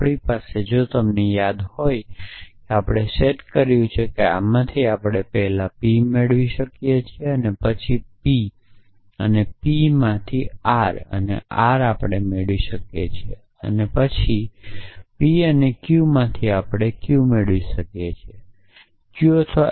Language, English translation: Gujarati, So, we had if you remember we had set that from this we can first derive p and then from p and p and r we can derive r and then from p and q we can derive q then from q and not q or s